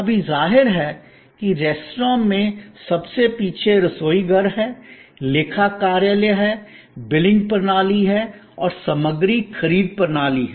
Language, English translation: Hindi, Now; obviously, the restaurant has at the back, the kitchen, it is accounting office, it is billing system and it is material procurement system